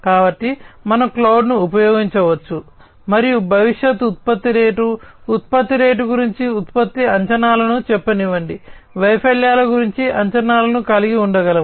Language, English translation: Telugu, So, we could use cloud, and we can come up with different predictions about let us say production predictions about the future production rate, production rate, we can have predictions about failures